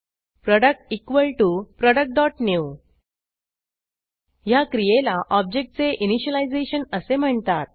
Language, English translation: Marathi, product = Product.new This process is called initialization of an object